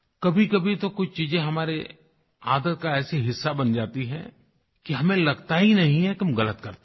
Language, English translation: Hindi, Sometimes certain things become a part of our habits, that we don't even realize that we are doing something wrong